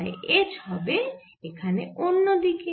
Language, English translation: Bengali, so h will be in the other direction here